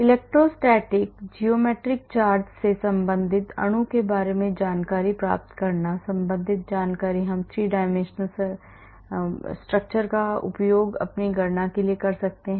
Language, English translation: Hindi, Getting the information about the molecule related to the electrostatic, geometric charge, related information we can then use these 3 dimensional structure for other calculations